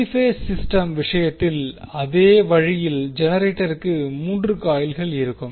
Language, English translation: Tamil, So, the same way in case of 3 phase system the generator will have 3 coils